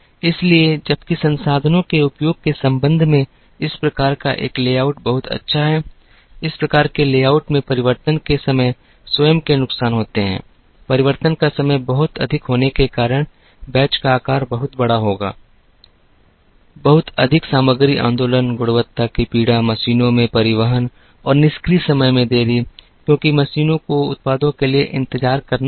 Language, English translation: Hindi, So, while this type of a layout is very good with respect to utilization of resources, this type of layout had it is owndisadvantages with respect to changeover times being very high,batch sizes being very large, lot of material movement, quality suffering, delays in transportation and idle times on machines, because machines had to wait for the products